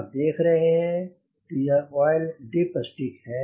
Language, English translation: Hindi, you can see this is the oil dipstick